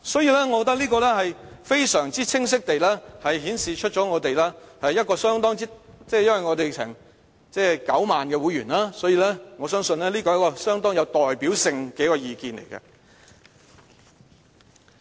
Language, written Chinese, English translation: Cantonese, 因此，我覺得這是非常清晰地顯示......因為我們有9萬名會員，所以我相信這是一個相當有代表性的意見。, Hence this survey sends out a very clear message As HKPTU has 90 000 members I am confident that this survey is rather representative